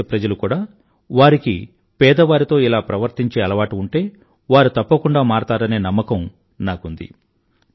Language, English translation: Telugu, I am certain that my countrymen, if they are in the habit of behaving in this way with the poor will now stop doing so